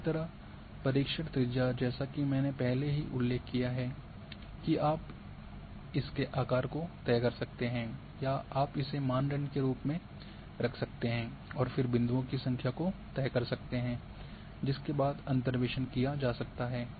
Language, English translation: Hindi, Similarly, the search radius as I have already mentioned that you can fix the size of the search radius or you can keep as variable and then fix the number of points and then interpolation is done